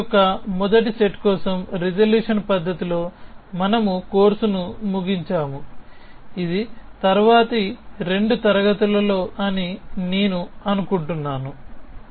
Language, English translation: Telugu, So, we will end the course with resolution method for first set of logic, which is in the next two classes I think